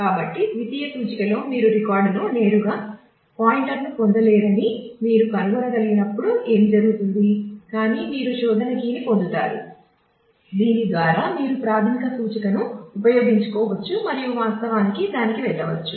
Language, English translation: Telugu, So, what happens is when in the secondary index when you have been able to actually find that you do not get a pointer directly to the record, but you get the search key through which you can use the primary index and actually go to that